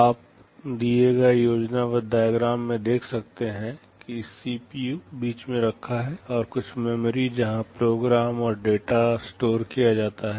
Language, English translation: Hindi, You can see this schematic diagram, the CPU is sitting in the middle and there are some memory where program and the data are stored